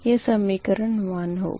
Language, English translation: Hindi, this is equation four